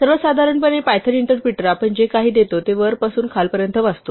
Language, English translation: Marathi, In general, the python interpreter will read whatever we give it from top to bottom